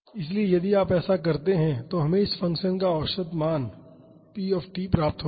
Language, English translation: Hindi, So, if you do this we will get the average value of this function p t